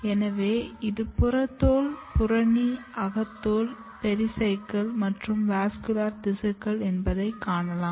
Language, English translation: Tamil, So, you can see this is epidermis, cortex, endodermis pericycle and the vascular tissues